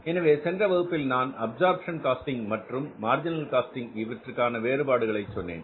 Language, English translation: Tamil, So, in the previous class I was telling you the basic difference between the absorption costing and marginal costing